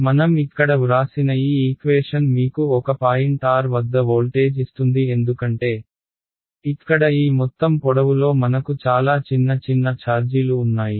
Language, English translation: Telugu, So, this equation that I have written here this gives you the voltage at a point r because, I have lots of small small charges along this entire length over here